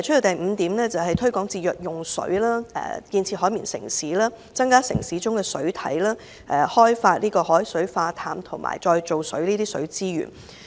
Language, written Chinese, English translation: Cantonese, 第五項建議是推廣節約用水、建設"海綿城市"、增加城市中的水體、開發海水化淡和再造水的水資源。, The fifth proposal is to promote water conservation develop a sponge city increase urban water bodies and explore new water resources such as desalinated and reclaimed water